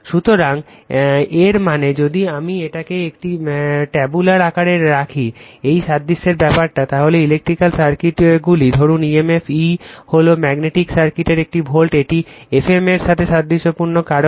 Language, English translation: Bengali, So, that means, if I put it in a tabular form that analogue the analogous thing, electrical circuits say emf, E is a volt in magnetic circuit, it analogies F m right